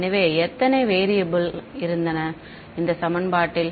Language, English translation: Tamil, So, how many variables were there in this equation